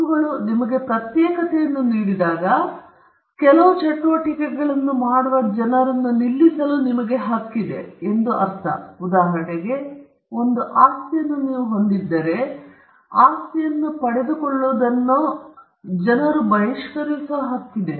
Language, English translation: Kannada, Now, rights offer you… when rights offer you exclusivity, it means that you have a right to stop people from doing certain acts; for instance, if you own a property, then you have a right to exclude people from getting into the property or enjoying that property